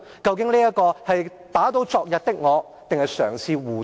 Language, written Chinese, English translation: Cantonese, 究竟這是打倒昨日的我，還是嘗試護短？, Is it an act to overturn what they have done yesterday or is it an attempt to cover up the mistakes now?